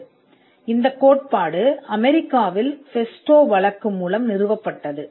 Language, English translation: Tamil, So, this principle was established in the festo case in the United States